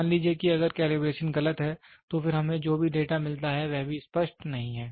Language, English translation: Hindi, Suppose if the calibration is wrong, so then whatever data we get the result is also not clear